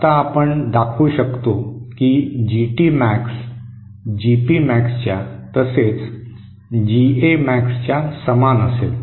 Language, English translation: Marathi, Now we can show that GT Max will be equal to GP Max which is equal to GA Max